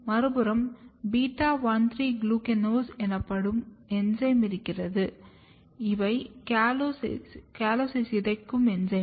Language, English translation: Tamil, On the other hand, if you have enzyme which is called beta 1,3 glucanase, these are the enzymes which can degrade callose